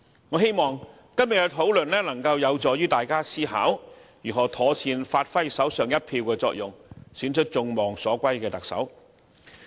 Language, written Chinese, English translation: Cantonese, 我希望今天的討論有助於大家思考如何妥善發揮手上一票的作用，選出眾望所歸的特首。, I hope the discussion today can help Members think about how they can make proper use of their votes to select a Chief Executive welcome by all